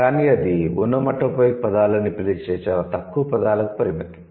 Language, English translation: Telugu, But that is limited to a very, very tiny set of words and which we call onomatopic words